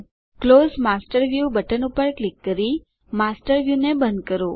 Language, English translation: Gujarati, Close the Master View by clicking on the Close Master View button